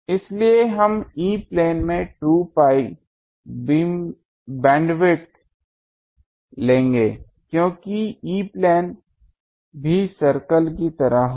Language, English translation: Hindi, So, we will take band width E plane is 2 pi because it will be like a circle the E plane also